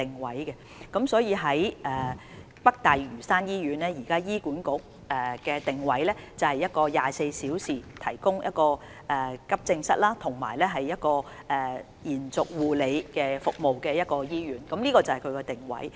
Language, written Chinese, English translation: Cantonese, 醫管局現時對北大嶼山醫院的定位，是一間提供24小時急症室服務及延續護理服務的醫院，這是該醫院的定位。, At present HA positions NLH as a hospital providing 24 - hour emergency and extended care services . This is our positioning of the hospital